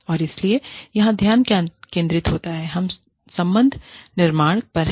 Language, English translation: Hindi, And so, the focus here is on, relationship building